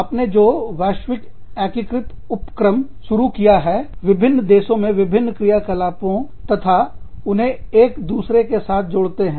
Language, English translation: Hindi, The globally integrated enterprises, that you start, different operations in different countries, and tie them in, with each other